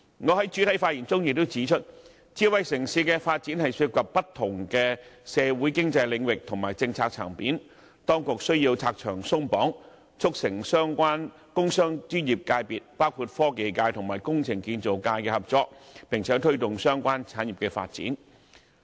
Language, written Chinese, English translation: Cantonese, 我在開首發言中也指出，智慧城市的發展涉及不同社會經濟領域和政策層面，當局需要拆牆鬆綁，促成相關工商專業界別，包括科技界和工程建造界的合作，並且推動相關產業發展。, In my introductory remarks I pointed out that given the different socio - economic areas and policy aspects involved in smart city development the authorities should remove cumbersome regulations and restrictions with a view to facilitating cooperation among the relevant industrial commercial and professional sectors―including that between the technology and the engineering and construction sectors―and promoting the development of those industries